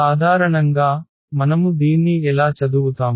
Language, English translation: Telugu, In general, how do we read this